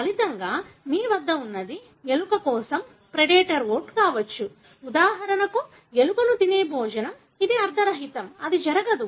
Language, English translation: Telugu, As a result, what you have is that the predator for the rat could be oat, a meal that is eating for example the rat, which is meaningless; it cannot happen